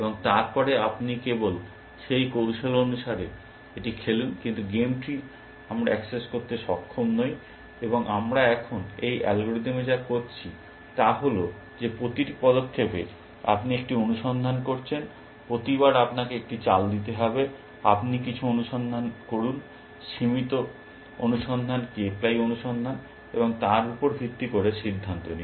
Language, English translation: Bengali, And then, you just play it according to that strategy, but the game tree, we are not able to access and what we are doing now, in this algorithm, is that at every move you are doing a search, every time you have to make a move, you do some search, limited search k ply search, and then decide based on that